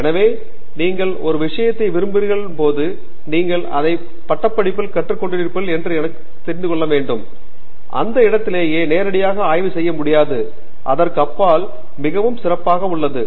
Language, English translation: Tamil, So, while you like a subject you should also know that you know just because you learnt it in undergraduate you cannot do research directly in that area, it is very highly specialized beyond that